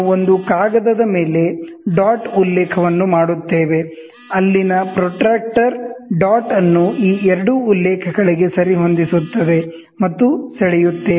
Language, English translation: Kannada, We make dot reference on a piece of paper, move the protractor dot there exactly match these two references and draw